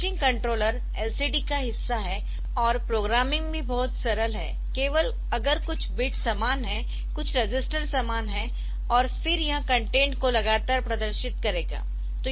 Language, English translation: Hindi, So, this refreshing controller is part of LCD and a programming is also very simple, only if some of the some of the bids are to be same some of the registers are to be same and then it will continually display the content